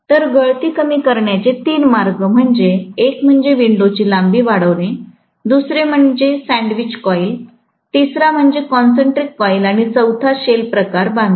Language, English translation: Marathi, So, the three ways of reducing the leakage is one is to increase the length of the window, the second is to have sandwiched coil, the third one is to have concentric coil and the fourth one is shell type construction